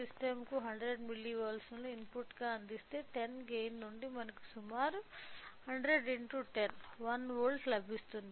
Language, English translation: Telugu, Since a gain of 10 so, if we provide a 100 milli volts as an input to the system we will get approximately of 100 into 10, 1 volt